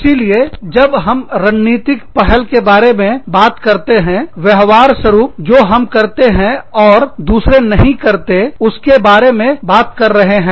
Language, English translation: Hindi, So, when we talk about strategic initiative, we are talking about a behavior, a pattern, something that we do, that others do not